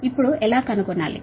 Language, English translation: Telugu, now how to find out